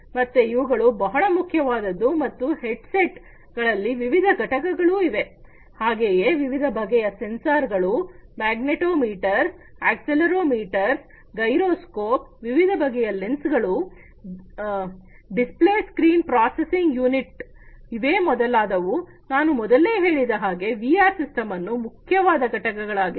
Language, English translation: Kannada, So, this one this one, etcetera, these are very important and there are different components of these headsets like different types of sensors, like magnetometers, accelerometer, gyroscope, etcetera the different lenses, display screens processing unit all these as I was telling you earlier these are the important components of a VR system